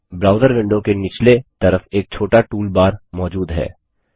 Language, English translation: Hindi, A small toolbar appears at the bottom of the browser window